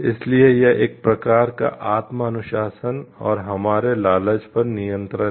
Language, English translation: Hindi, So, that we like it is a sort of self discipline and control on our greed